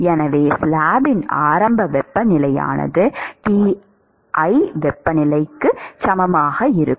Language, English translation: Tamil, So, the initial temperature of the slab is uniformly equal to the temperature Ti